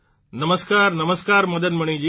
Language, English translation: Gujarati, Namaskar… Namaskar Madan Mani ji